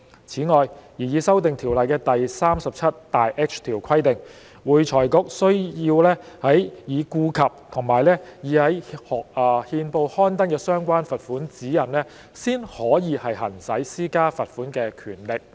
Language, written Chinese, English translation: Cantonese, 此外，擬議修訂的《條例》第 37H 條規定，會財局須在已顧及已在憲報刊登的相關罰款指引，才可行使施加罰款的權力。, Moreover the proposed amended section 37H of FRCO provides that AFRC must only exercise its power to impose pecuniary penalty after having regard to the relevant guidelines published in the Gazette